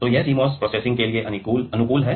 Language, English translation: Hindi, So, it is compatible with CMOS processing